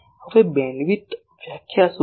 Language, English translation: Gujarati, Now, what is bandwidth definition